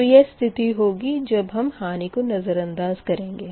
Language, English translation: Hindi, so this is the condition when you are not considering the losses, right